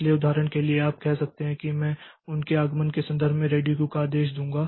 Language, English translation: Hindi, So, for example, you may say that I the ready queue I will order in terms of their arrival